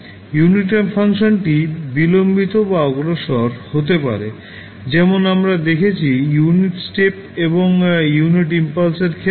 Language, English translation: Bengali, The unit ramp function maybe delayed or advanced as we saw in case of unit step and unit impulse also